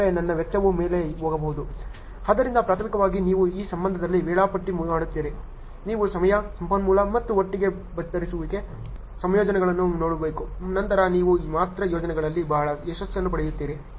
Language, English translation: Kannada, So, primarily you are scheduling in this case you have to look at the combination of time, resource and cast together then only you will have a very success in projects ok